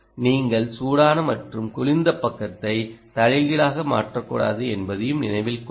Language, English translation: Tamil, also, note that you should not reverse the hot and cold side